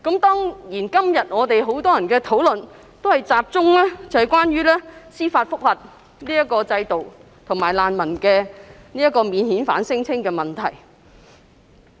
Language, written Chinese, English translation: Cantonese, 當然，今天很多議員的發言，都集中討論司法覆核制度和免遣返聲請的問題。, Of course many Members have focused their speeches on the judicial review system and the issue of non - refoulement claims